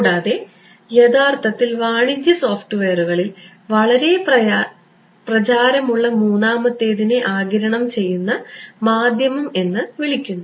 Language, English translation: Malayalam, And, the third which is actually very popular in commercial software and all these are called absorbing media ok